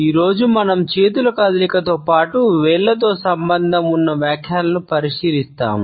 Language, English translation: Telugu, Today we would look at the interpretations associated with the movement of hands as well as fingers